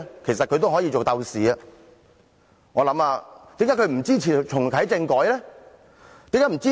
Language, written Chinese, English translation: Cantonese, 其實他們也可以做鬥士，為甚麼他們不支持重啟政改？, Actually they can also be democracy fighters . Why dont they support reactivating constitutional reform?